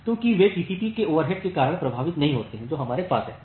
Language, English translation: Hindi, Because they do not get affected due to the overhead of TCP that we have